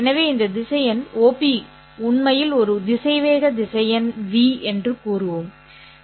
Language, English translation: Tamil, Then we say that this vector v is actually a vector space